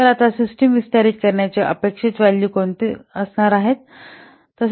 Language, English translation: Marathi, So now the expected value of extending the system is found out by what